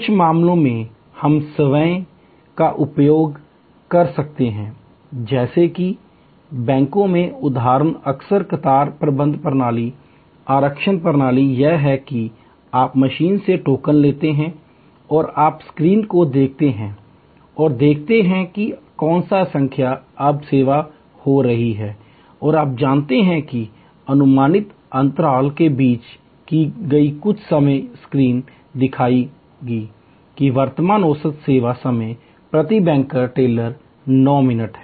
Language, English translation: Hindi, In some cases, we can use self services like the example in the banks often the queue managements system the reservations system is that you take a token from the machine and you look at the screen and see, which number is now getting served and you know the gap between estimated gap some time the screens will show that current average service time per bank teller is 9 minutes